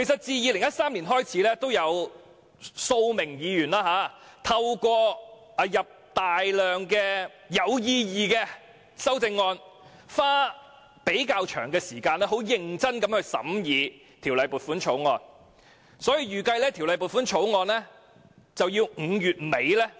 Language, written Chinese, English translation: Cantonese, 自2013年開始，每年均有數位議員透過提出大量有意義的修正案，花較長時間認真審議撥款條例草案。, Every year since 2013 a large number of meaningful amendments have been proposed by several Members who have spent relatively long time to scrutinize the Appropriation Bill in earnest